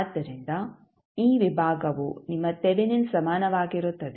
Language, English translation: Kannada, So, this section would be your Thevenin equivalent